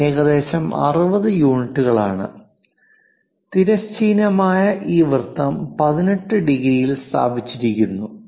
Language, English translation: Malayalam, It is some 60 units and this circle with horizontal is placed at 18 degrees